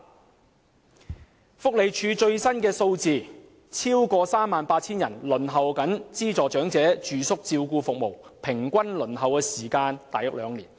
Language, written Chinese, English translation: Cantonese, 根據社會福利署的最新數字，有超過 38,000 人正在輪候資助長者住宿照顧服務，平均輪候時間約為兩年。, The latest figures from the Social Welfare Department show that more than 38 000 people are now waiting for subsidized residential care services for the elderly at an average duration of about two years